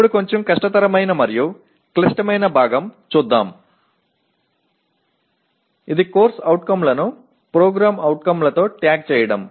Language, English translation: Telugu, Now come, the a little more difficult and critical part namely tagging the COs with POs